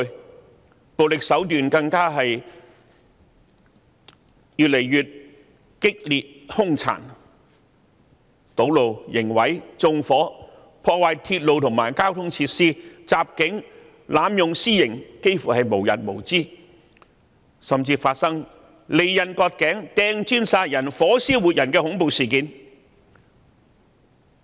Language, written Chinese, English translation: Cantonese, 他們的暴力手段更越見激烈和兇殘，堵路、刑毀、縱火、破壞鐵路和交通設施、襲警、濫用私刑幾乎無日無之，甚至發生利刃割頸、擲磚殺人、火燒活人的恐怖事件。, Violent acts have become crueller and more ferocious . Acts like blocking roads criminal damages arson vandalizing railways and traffic facilities attacking police officers and unlawfully punishing people by beating them up are committed almost everyday and even horrifying incidents like cutting a mans neck with a blade hurling bricks to kill and setting a human being on fire have all been attested